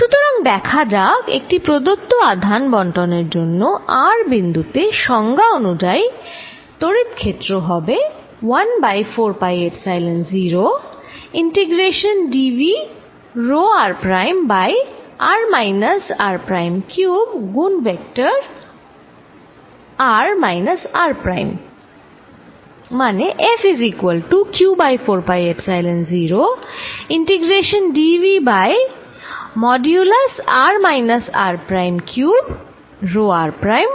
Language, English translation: Bengali, So, let us see, therefore given this distribution of charge the electric field by definition at point r is going to be 1 over 4 pi Epsilon 0, integration over this volume rho r prime over r minus r prime cubed times vector r minus r prime